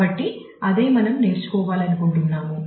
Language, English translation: Telugu, So, that is that is what we want to learn